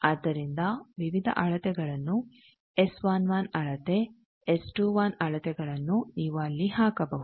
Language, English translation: Kannada, So, various measurement S 11 measurements, S 21 measurement at that you can put there